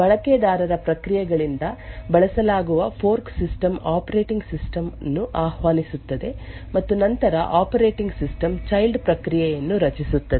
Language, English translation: Kannada, The fork system called which is used by the user processes would invoke the operating system and then the operating system would create a child process